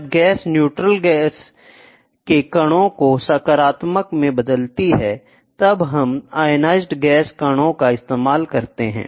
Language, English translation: Hindi, So, when the gas converts the neutral gas molecule into positively charged ionized gas molecule this is used